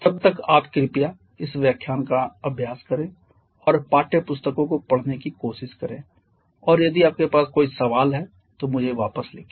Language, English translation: Hindi, Till then you please revise this lecture also try to go through your textbooks and if you have any query please write back to me, thank you very much